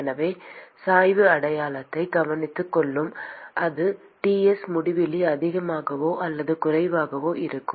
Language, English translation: Tamil, So the gradient will care of the sign whether it is T infinity is greater or lesser than Ts